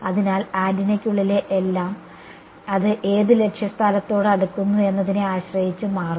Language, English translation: Malayalam, So, everything inside the antenna will change depending on what objective place it close to